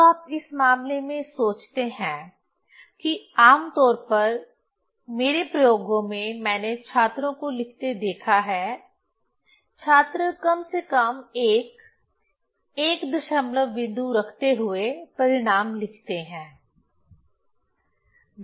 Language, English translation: Hindi, Now, you think in this case generally from my experiments I have seen the students write the result keeping the at least keeping the one decimal point, keeping one digit after decimal